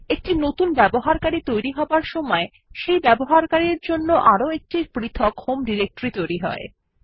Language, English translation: Bengali, In the process of creating a new user, a seperate home directory for that user has also been created